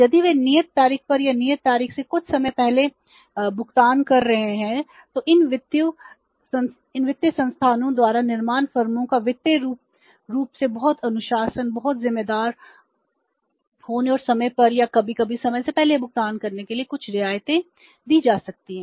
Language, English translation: Hindi, If they are paying making the payment on the due date or sometime before the due date then some concessions can be given by these financial institutions to the manufacturing firms for being financially very disciplined, very responsible and making the payment on time or sometimes before time